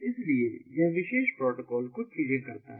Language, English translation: Hindi, so this, this particular protocol, does couple of things